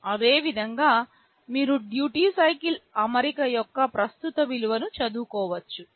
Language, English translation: Telugu, Similarly, you can read the current value of the duty cycle setting